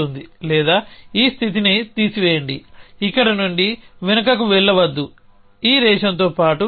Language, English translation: Telugu, Or remove this state do not go backward from here inset go along this ration